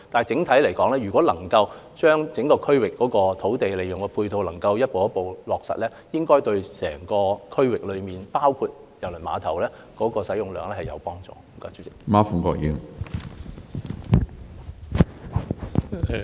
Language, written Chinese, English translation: Cantonese, 整體來說，如果能夠利用整個區域內逐步落成的配套措施，應該對整個區域，包括郵輪碼頭在內的使用量有幫助。, Generally speaking if we can utilize the ancillary facilities which will progressively be completed in the entire Kai Tak area it should help to increase the utilization of the whole area including KTCT